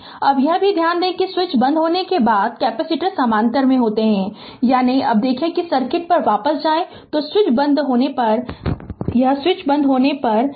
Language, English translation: Hindi, Now also note after the switch is closed the capacitors are in parallel, we have an equivalent capacitance; that means, when look if we go back to the circuit that when switch is closed when switch is closed say it is ah